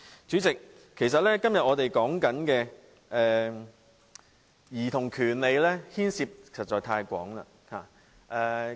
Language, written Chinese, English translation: Cantonese, 主席，我們今天討論兒童權利，牽涉的範疇實在太廣。, President the topic of childrens rights under discussion today covers too many different aspects indeed